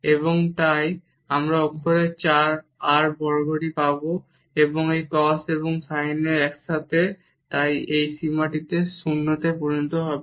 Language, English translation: Bengali, And so, we will get r square still in the numerator and with this cos and sin together so, that will make this limit to 0